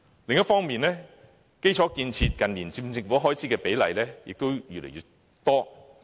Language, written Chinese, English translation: Cantonese, 另一方面，近年基礎建設佔政府開支的比例亦越來越大。, Meanwhile infrastructure takes up an increasingly large proportion of government spending in recent years